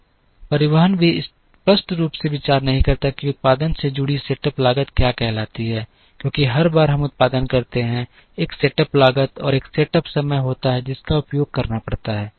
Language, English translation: Hindi, Transportation also does not explicitly consider what is called the set up cost associated with the production, because every time we produce, there is a set up cost and a set up time that has to be used